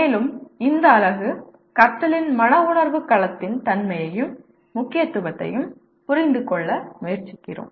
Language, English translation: Tamil, And this unit, we make an attempt to understand the nature and importance of affective domain in learning